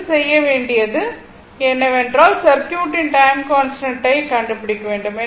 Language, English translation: Tamil, Next, what we have to do is, we have to find out the time constant of the circuit